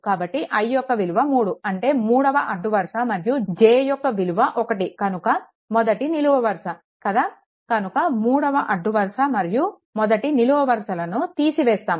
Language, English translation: Telugu, So, i is equal to 3; that means, third row and your first column, right so, third row and first column will be eliminated